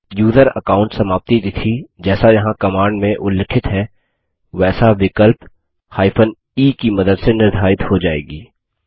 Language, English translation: Hindi, The user account expiry date is set as mentioned in the command here with the help of the option e